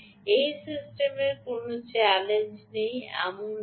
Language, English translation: Bengali, it isn't that this system has no challenges